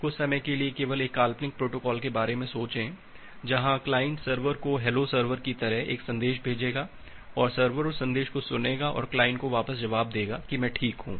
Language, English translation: Hindi, For the time being, just think of a hypothetical protocol where the client will send the server as a message like hello server and the server will listen that message and reply back to a client that I am fine